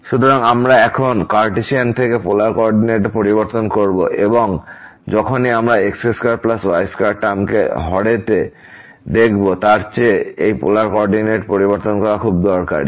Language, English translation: Bengali, So, we will change now from Cartesian to the polar coordinate, because whenever we see the square plus square term in the denominator than this changing to polar coordinate is very, very useful